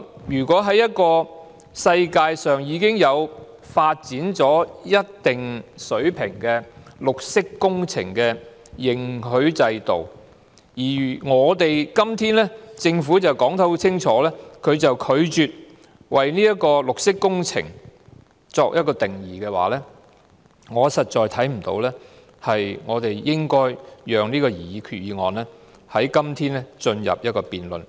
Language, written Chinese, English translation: Cantonese, 如果國際上已經有一套發展至一定水平的綠色工程認許制度，但政府卻明確拒絕為綠色工程下定義，我實在看不到應該繼續辯論這項擬議決議案，或進入審議階段。, Despite the fact that an international certification scheme in respect of green works which has been developed to a certain level already exists the Government has explicitly refused to define green works . Hence I do not think we should proceed with the debate on the proposed Resolution nor should we commence the examination of it